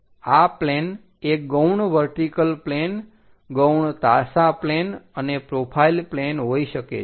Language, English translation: Gujarati, These auxiliary planes can be auxiliary vertical planes, auxiliary inclined planes and profile planes